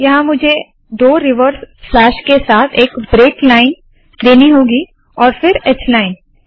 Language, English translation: Hindi, Here I have to put a break line with two reverse slashes and then h line